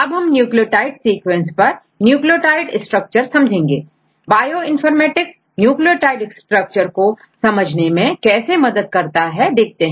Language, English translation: Hindi, Now, we go with the nucleotide sequence to nucleotide structure right, what are the information, Bioinformatics contributes to nucleotide structure